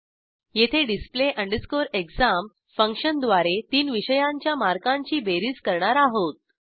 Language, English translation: Marathi, Here, we are using display exam function to calculate the total of three subjects